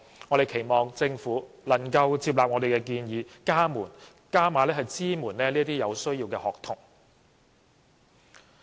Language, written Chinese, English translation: Cantonese, 我們期望政府能夠接納我們的建議，加碼支援這些有需要的學童。, We hope the Government will accept our proposals and provide additional support to these needy students